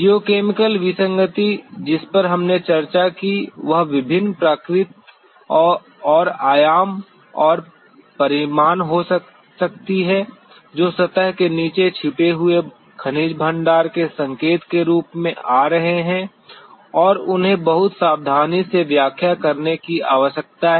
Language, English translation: Hindi, The geochemical anomaly as we discussed could be of various nature and dimension and magnitude coming coming as signatures of hidden mineral deposits below the surface and they need to be very carefully interpreted